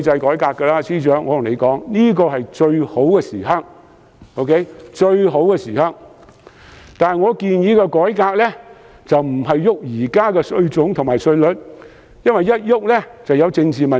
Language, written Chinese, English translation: Cantonese, 我想告訴司長，現在是最好的改革時機，但我建議的改革並非改變現行稅種和稅率，因為會引起政治問題。, I wish to tell the Financial Secretary that it is high time for tax reform . However I will not propose to make any changes in tax types or tax rates for fear of political controversy